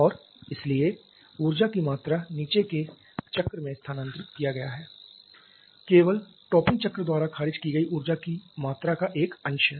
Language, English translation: Hindi, And therefore the amount of energy that has been transferred to the bottoming cycle is only a fraction of the amount of energy rejected by the topping cycle